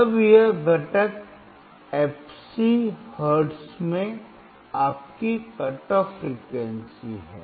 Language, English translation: Hindi, Then this component fc is your cut off frequency in hertz